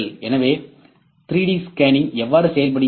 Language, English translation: Tamil, So, How does 3D scanning works